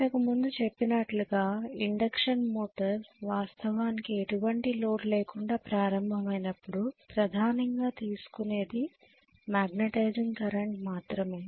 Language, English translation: Telugu, Because induction motor we also said when it is actually starting off on no load the major current drawn is only magnetizing current